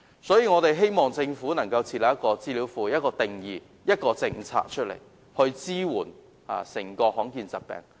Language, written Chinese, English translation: Cantonese, 所以，我希望政府設立資料庫、制訂定義，並提出政策，以支援罕見疾病患者。, So I hope the Government can set up a database make a definition and introduce a policy as a form of support for rare disease patients